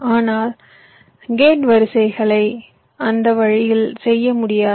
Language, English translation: Tamil, but gate arrays cannot be done in that way